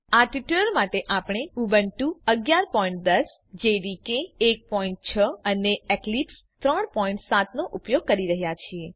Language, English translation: Gujarati, For this tutorial we are using Ubuntu 11.10, JDK 1.6 and Eclipse 3.7